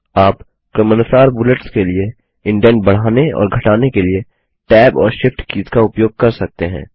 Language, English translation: Hindi, You can use Tab and shift tab keys to increase and decrease the indent for the bullets respectively